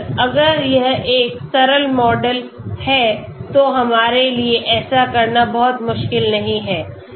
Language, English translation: Hindi, Simple, if it is a simple model then it is not very difficult for us to do